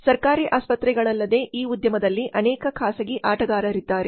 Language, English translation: Kannada, Apart from government hospitals there are so many private players in this industry